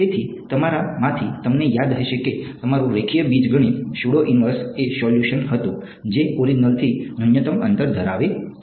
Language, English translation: Gujarati, So, those of you remember your linear algebra the pseudo inverse was the solution which had minimum distance from the origin